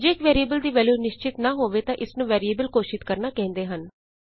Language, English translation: Punjabi, If a value is not assigned to a variable then it is called as declaration of the variable